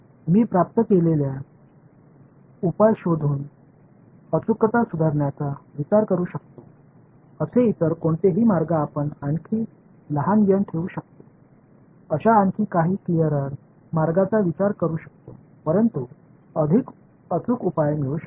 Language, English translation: Marathi, Any other ways that you can think of improving accuracy looking at the solution that I have obtained can you think of some other cleverer way where I can keep n small yet get a more accurate solution